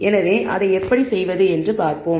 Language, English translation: Tamil, So, let us see how to do that